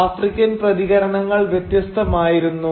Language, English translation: Malayalam, Well the reactions, African reactions, were of course varied